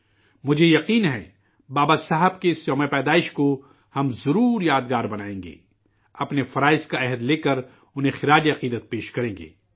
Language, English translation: Urdu, I am sure that we will make this birth anniversary of Babasaheb a memorable one by taking a resolve of our duties and thus paying tribute to him